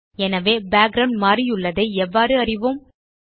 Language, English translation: Tamil, So how do we know that the background has actually changed